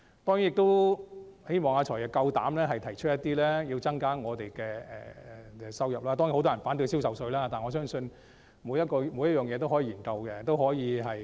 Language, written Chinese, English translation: Cantonese, 我希望"財爺"有膽量提出增加收入的措施，當然很多人反對銷售稅，但我相信每項方案均可以研究。, I hope that FS has the courage to propose measures to increase revenue . Of course many people are opposed to sales tax but I believe that all options deserve consideration